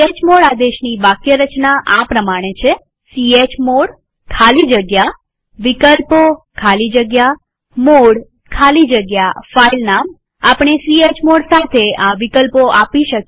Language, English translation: Gujarati, Syntax of the chmod command is chmod space [options] space mode space filename space chmod space [options] space filename We may give the following options with chmod command